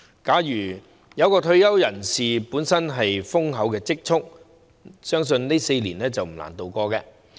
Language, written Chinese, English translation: Cantonese, 假如有退休人士本身有豐厚積蓄，相信這4年不難渡過。, If the retirees themselves have handsome savings presumably these four years should not be difficult